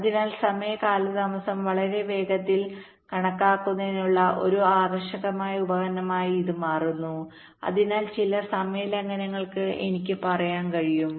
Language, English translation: Malayalam, so this becomes an attractive tool for very quick estimate of the timing delays and hence some, i can say, timing violations